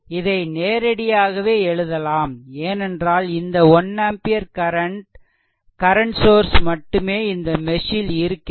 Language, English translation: Tamil, Therefore your directly you can write i 2 is equal to 1 ampere, because only current source is there at current is in this mesh right